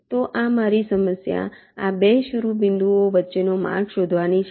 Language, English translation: Gujarati, so my problem is to find a path between these two vertices